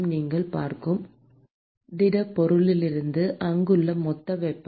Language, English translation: Tamil, from the solid that you are looking at, the total heat there